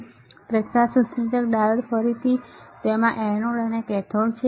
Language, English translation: Gujarati, So, this is light emitting diode, again it has an anode and a cathode